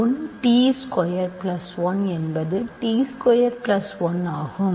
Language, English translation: Tamil, 1 times t squared plus 1 is t squared plus 1